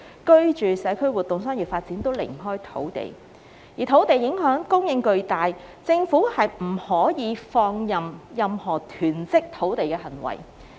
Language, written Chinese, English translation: Cantonese, 居住、社區活動、商業發展均離不開土地，而土地供應影響巨大，政府不可放任任何囤積土地的行為。, Living community activities and commercial activities are inseparable from land and the impact of land supply is immense so the Government cannot leave any acts of land hoarding go unchecked . Leaving them go unchecked is tantamount to endorsement